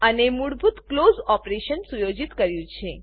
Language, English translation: Gujarati, And I have set the default close operation